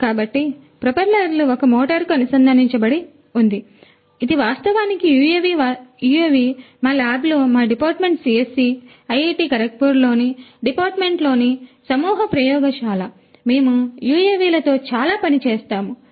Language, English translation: Telugu, So, the propeller is connected to a motor, this is actually UAV we actually in our lab the swarm lab in our Department CSE, Department at IIT Kharagpur we do a lot of work with UAVs